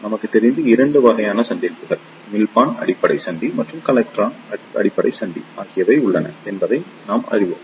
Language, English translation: Tamil, Since, we know that there are 2 type of junctions emitter base junction and collector base junction